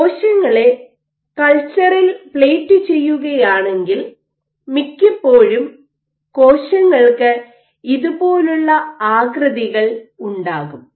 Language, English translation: Malayalam, So, if you plate cells in culture most of the times the cells will have shapes like this